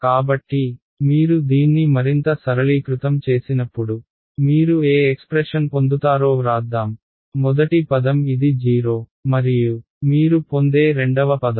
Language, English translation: Telugu, So, when you simplify this further let us write down s what expression you get is first term is this which is at 0 and the second term that you get is ok